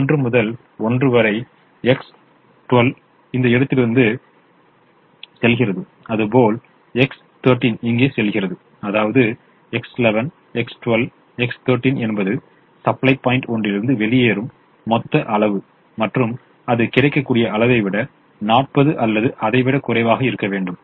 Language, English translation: Tamil, so if x one one is going here, from this point, from one to one, x one, two is going here and x one, three is going here, then x one, one plus x one, two plus x one, three is the total quantity that is going out of the supply point one, and that should be less than or equal to the available quantity, which is forty